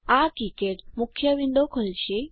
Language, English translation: Gujarati, This will open KiCad main window